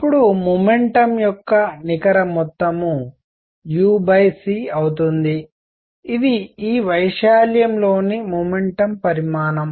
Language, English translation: Telugu, Then net amount of momentum would be u over c is the momentum content in this area